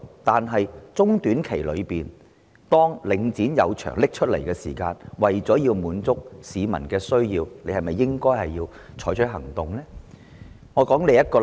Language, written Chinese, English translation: Cantonese, 不過，在中、短期方面，當領展出售物業時，為了滿足市民的需要，政府是否應該採取行動？, Having said that in the short - to - medium term when Link REIT puts up its properties for sale should the Government take actions in order to meet the needs of the residents?